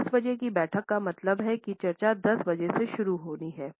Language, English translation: Hindi, So, 10 O clock meeting means that the discussions have to begin at 10 o clock